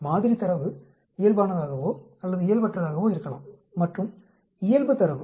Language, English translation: Tamil, Sample data could be normal or non normal and the normal data